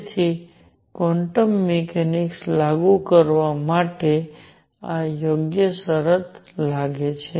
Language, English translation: Gujarati, So, this seems to be the right condition for applying quantum mechanics